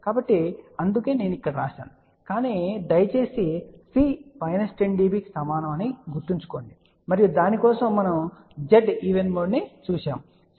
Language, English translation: Telugu, So, that is why i wrote there , but please remember C is equal to minus 10 db and for that we had seen Z even mode was 16 9